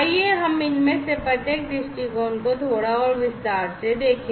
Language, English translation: Hindi, So, let us look at each of these viewpoints in a little bit further detail